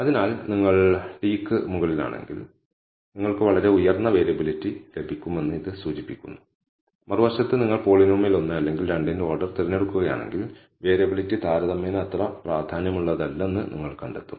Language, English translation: Malayalam, So, it indicates that if you over t, you will get a very high variability whereas on the other hand if you choose order of the polynomial 1 or 2 you will find that the variability is not that significant comparatively